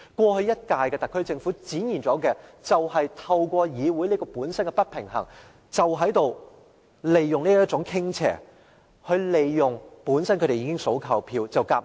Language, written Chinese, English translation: Cantonese, 過去一屆的特區政府正是透過議會本身的不平衡，利用這種傾斜，"數夠票"便強行通過政府議案或法案。, The last - term SAR Government manipulated the imbalanced Council to secure enough votes for pushing through government motions or bills